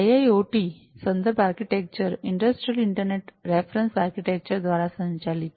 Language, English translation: Gujarati, So, the IIoT reference architecture is governed by the Industrial Internet Reference Architecture